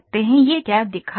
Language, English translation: Hindi, What it is showing